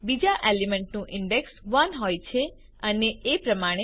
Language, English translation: Gujarati, The index of the second element is 1 and so on